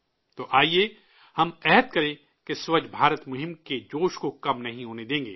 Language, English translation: Urdu, Come, let us take a pledge that we will not let the enthusiasm of Swachh Bharat Abhiyan diminish